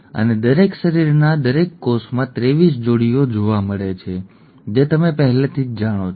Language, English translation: Gujarati, And the 23 pairs are found in each cell in each body, that that you already know